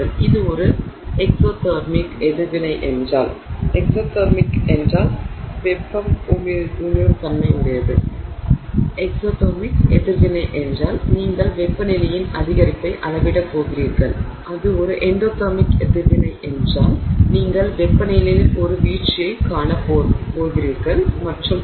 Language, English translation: Tamil, You will see the similar kind of trend if it is an exothermic reaction you are going to measure increase in temperature, if it is an endothermic reaction you are going to see a drop in and so on